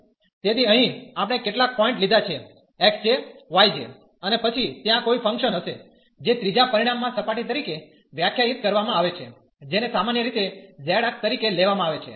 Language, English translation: Gujarati, So, here we have taken some point x j, y j and then there will be a function defined as a surface in the third dimension, which is usually taken as z axis